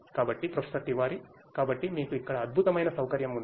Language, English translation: Telugu, So, Professor Tiwari, so you have a wonderful facility over here